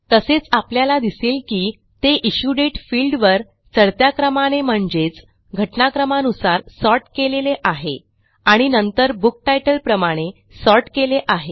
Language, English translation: Marathi, Also notice that it has been sorted by the Issue Date field in ascending order that is, chronologically and then by Book Title in ascending order